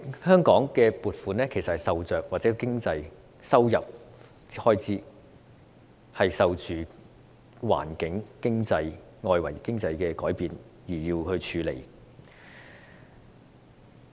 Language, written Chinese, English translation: Cantonese, 香港政府的收入和開支受着環境及內外經濟的改變影響，須因應調整。, As the Governments revenue and expenditure are affected by changes in the environment and economy within and outside Hong Kong a corresponding adjustment is necessary